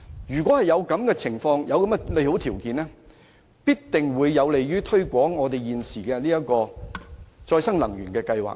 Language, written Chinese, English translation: Cantonese, 如果能夠提供上述的利好條件，必定有助推廣現時的可再生能源計劃。, If these favourable conditions can be provided it will definitely be helpful to promoting the existing renewable energy schemes